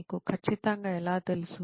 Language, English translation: Telugu, How do you know for sure